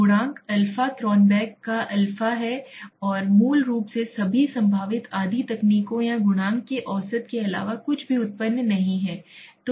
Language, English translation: Hindi, Coefficient alpha Cronbach s alpha is basically nothing but an average of all possible split half techniques or coefficients that has been generated